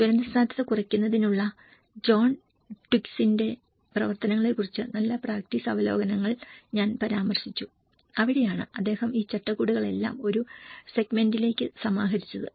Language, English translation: Malayalam, And I have referred with the good practice reviews work on John Twigs work of disaster risk reduction and that is where he compiled everything all these frameworks into one segment